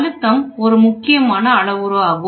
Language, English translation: Tamil, So, pressure is a very very important parameter